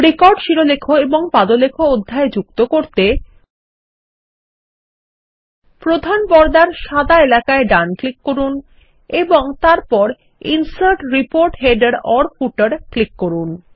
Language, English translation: Bengali, We can also add a record header and a footer section by right clicking on the main screen in the white area and clicking on the Insert Report Header/Footer